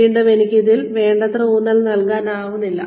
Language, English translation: Malayalam, Again, I cannot stress on this enough